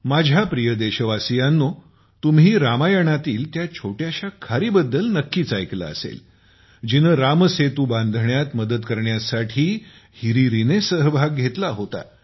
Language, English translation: Marathi, My dear countrymen, you must have heard about the tiny squirrel from the Ramayana, who came forward to help build the Ram Setu